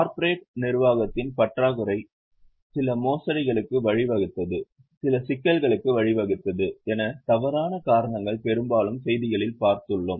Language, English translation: Tamil, It is often in news, often for wrong reasons that lack of corporate governance has led to some fraud as has led to some problems